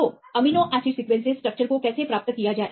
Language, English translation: Hindi, So, how to obtain this structure from the amino acid sequence